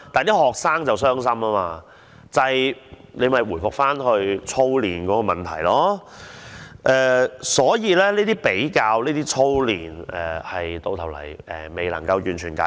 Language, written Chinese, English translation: Cantonese, 於是，這又回復到操練的問題，而這些比較和操練問題到頭來完全未有解決。, For that reason it is all about the problem of drills . It ends up that the problems of comparisons and drills have not been resolved at all